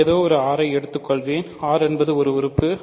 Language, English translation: Tamil, So, I will take any r; r is an element